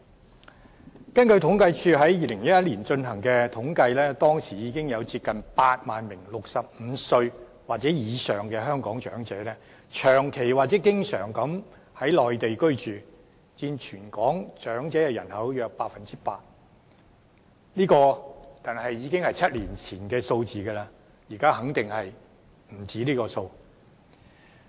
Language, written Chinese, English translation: Cantonese, 根據香港政府統計處於2011年進行的統計，當時已經有接近8萬名65歲或以上的香港長者長期或經常在內地居住，佔全港長者人口約 8%， 這個已經是7年前的數字，現在肯定不止這個數目。, According to a survey conducted by the Census and Statistics Department of the Government in 2011 about 80 000 Hong Kong elderly persons aged 65 or above permanently or frequently resided on the Mainland accounting for about 8 % of the total elderly population of Hong Kong . This was the number seven years ago and the latest number is definitely more than this number